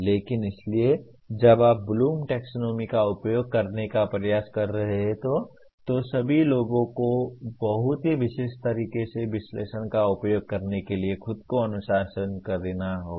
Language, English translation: Hindi, But, so when you are trying to use the Bloom’s taxonomy all the people will have to discipline themselves to use analyze in a very in this very specific manner